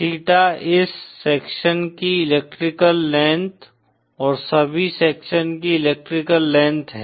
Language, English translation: Hindi, The theta is the electrical length of this section & the electrical length of all the sections